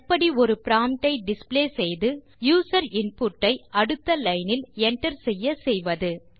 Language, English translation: Tamil, How do you display a prompt and let the user enter input in next line